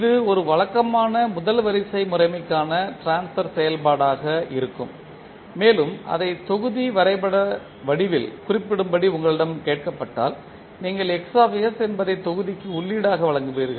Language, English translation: Tamil, So this will be the transfer function for a typical first order system and if you are asked to represent it in the form of block diagram, so you will give Xs as an input to the block